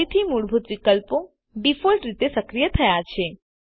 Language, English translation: Gujarati, Again the basic options already activated by default